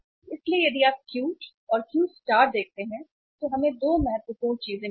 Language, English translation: Hindi, So if you see Q and Q star we have got 2 important things